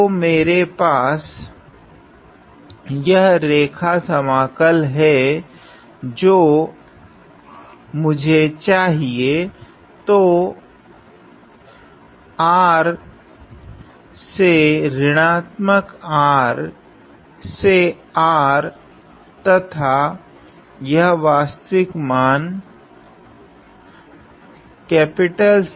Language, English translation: Hindi, So, I have this line integral that I want; so, from R to minus R to R and this real value C